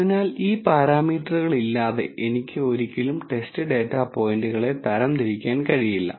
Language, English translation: Malayalam, So, without these parameters I can never classify test data points